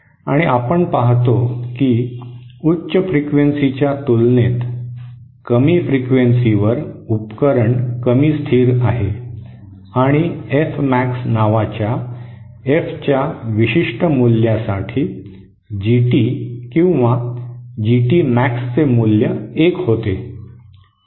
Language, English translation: Marathi, And we see that at lower frequencies the device is less stable as compared to higher frequencies and for a particular value of F called F Max, the the gain, the value of GT or GT Max becomes one